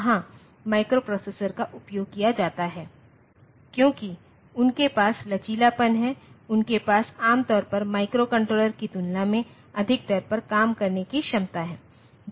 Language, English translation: Hindi, There microprocessors are used, because they have the flexibility, they have the capability to work at a higher rate generally than the microcontrollers